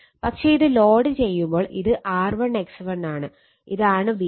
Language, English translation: Malayalam, But when it is loaded at that time this is R 1 X 1